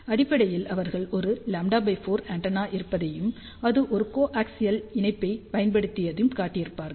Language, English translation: Tamil, So, basically what they show this is a lambda by 4 antenna which is fed using a coaxial connector